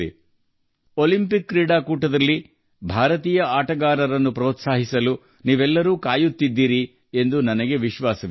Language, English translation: Kannada, I am sure that all of you would also be waiting to cheer for the Indian sportspersons in these Olympic Games